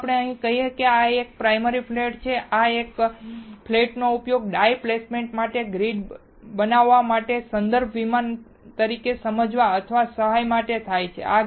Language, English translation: Gujarati, Let us say this is the primary flat and this flat is used to understand or to help as a reference plane to form the grid for die placement